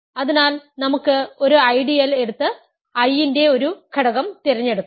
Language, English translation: Malayalam, So, let us take an ideal and let us choose an element of I